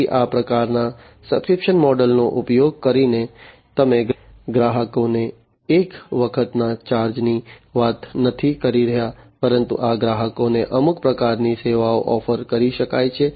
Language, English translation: Gujarati, So, using this kind of subscription model, you are not talking about is one time kind of charge to the customers, but these customers can be offered some kind of services